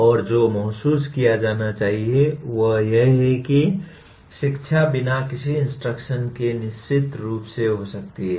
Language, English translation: Hindi, And what should be realized is learning can certainly occur without instruction